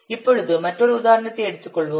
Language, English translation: Tamil, Now let's take another example